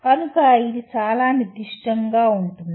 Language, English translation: Telugu, So it is very specific